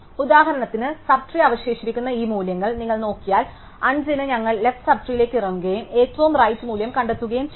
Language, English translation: Malayalam, So, for example if you look at these values which have left sub trees, so for 5 we go down the left sub tree and we find the right most value which is 4